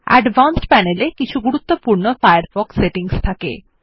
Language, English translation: Bengali, The Advanced Panel contains some important Firefox settings